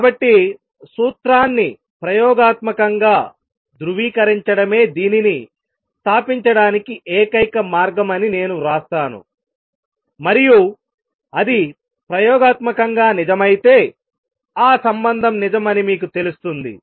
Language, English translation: Telugu, So, let me write this the only way to establish this is to verify the formula experimentally and if it comes out true experimentally then you know it is a relationship which is true